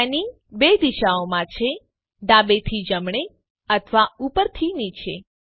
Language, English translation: Gujarati, Panning is in 2 directions – left to right or up and down